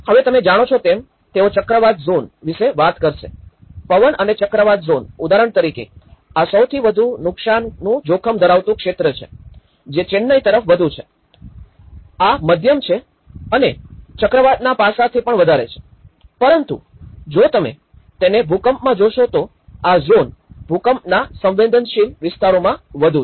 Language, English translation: Gujarati, Now, they also talk about the you know, the cyclone zones; the wind and cyclone zones, for instance, this is the most high damage risk zone which is more towards the Chennai and this is the moderate and this is much more beyond the cyclone aspect but whereas, in the earthquake if you look at it that is where this zone is more of an earthquake vulnerable zones